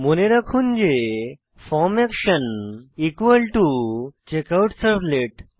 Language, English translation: Bengali, Now note that form action is equal to CheckoutServlet